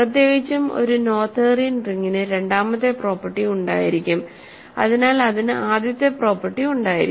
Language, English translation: Malayalam, So, in particular a Noetherian ring will have the second property hence it will have the first property